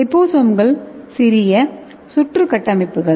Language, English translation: Tamil, So these liposomes are the smallest round structure okay